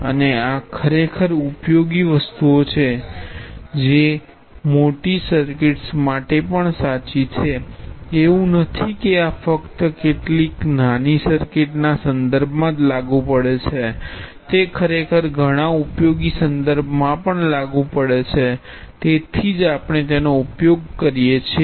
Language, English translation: Gujarati, And this is actually useful things, which is true for a large number of circuits, it is not that this is applicable only in some narrow useless context, it is actually applicable in a lot of useful context as well so that is why we use that